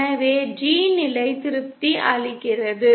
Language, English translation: Tamil, So the G condition is satisfied